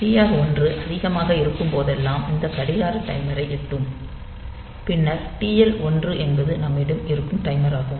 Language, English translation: Tamil, So, whenever TR1 is high, then this clock will be reaching the timer then TL1 is the timer that we have